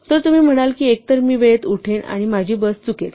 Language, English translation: Marathi, So, you might say either i will wake up in time or i will miss my bus